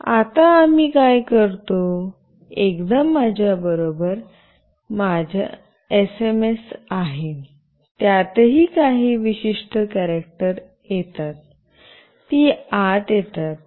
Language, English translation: Marathi, And now what we do, once I have the SMS with me, there are certain other characters also, that comes in